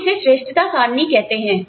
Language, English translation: Hindi, What we call as merit charts